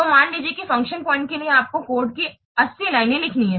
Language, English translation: Hindi, That means per function point there can be 70 lines of code